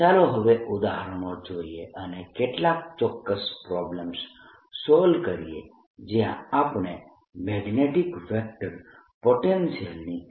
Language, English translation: Gujarati, let us now take examples and solve some certain problems where we calculate the magnetic electro potential